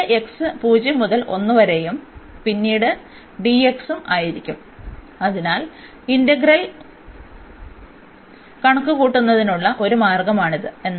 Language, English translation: Malayalam, And then the x limits will be from 0 to 1, so then x from 0 to 1 and then the dx, so that is the one way of computing the integral